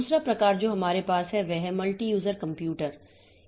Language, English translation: Hindi, The second part, second type of system that we have is the multi user computers